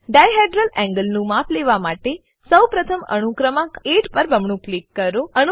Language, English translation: Gujarati, For measurement of dihedral angle, first double click on atom number 8